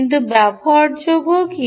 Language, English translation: Bengali, and what is the tool